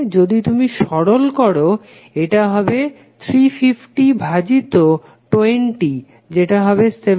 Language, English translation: Bengali, If you simplify, this will become 350 divided by 20 is nothing but 17